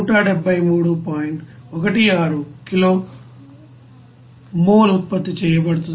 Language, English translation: Telugu, 16 kilo mole will be produced per hour